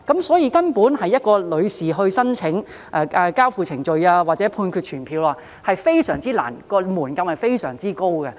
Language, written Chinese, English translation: Cantonese, 所以，女士提出申請交付羈押令或判決傳票非常困難，門檻非常高。, Therefore it is very difficult for the lady to apply for an order of committal or Judgment Summon . The threshold is very high